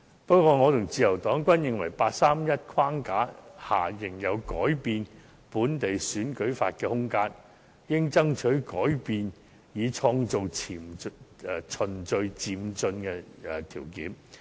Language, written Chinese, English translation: Cantonese, 不過，我和自由黨均認為在八三一框架下，仍有改變本地選舉法的空間，故應爭取改變以創造循序漸進的條件。, However both I and the Liberal Party consider that there are rooms within the 31 August framework for amending local election laws . Therefore we should try to fight for amendments in this respect in order to create the right conditions for moving forward in a gradual and orderly manner